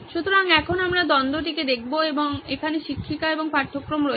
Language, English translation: Bengali, So now we will look at the conflict itself so here’s the teacher and the syllabus